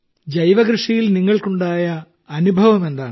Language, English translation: Malayalam, What experience did you have in natural farming